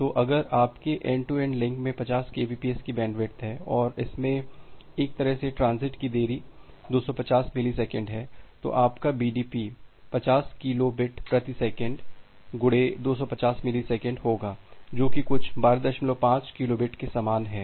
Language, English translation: Hindi, So, if your end to end link has a bandwidth of say 50 Kbps and it has one way transit delay is 250 millisecond, then your BDP is 50 kilo bit per second into 250 millisecond comes to be something similar to 12